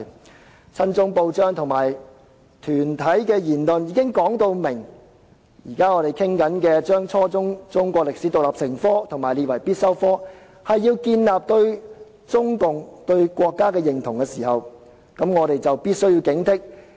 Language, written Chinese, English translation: Cantonese, 當親中報章和團體的言論表明，討論規定初中中史獨立成科和將之列為必修科是要建立對中國和國家的認同，我們便必須加以警惕。, As stated by pro - China press and organizations requiring the teaching of Chinese history as an independent subject at junior secondary level and making the subject compulsory serve the purpose of establishing a sense of identification with China . We must therefore be vigilant